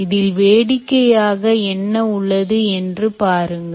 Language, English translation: Tamil, look at what is funny about the ah